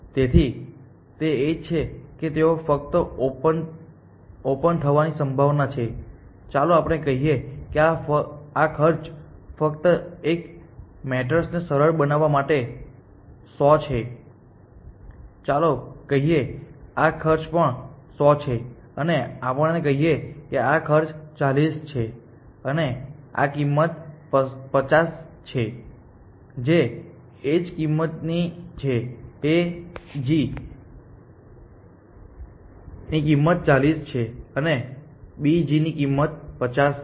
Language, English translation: Gujarati, So, that is the edge that they are just likely to explode let us say that this cost is 100 just to simplify a maters let say this cost is also 100 and let us say that this cost is 40 and this cost is 50 that is the edge cost A G is the cost of edge A G is 40 and the cost of edge B G is 50